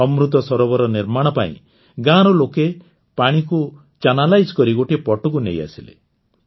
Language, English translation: Odia, To make the Amrit Sarovar, the people of the village channelized all the water and brought it aside